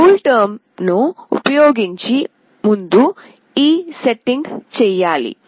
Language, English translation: Telugu, This setting must be done prior to using this CoolTerm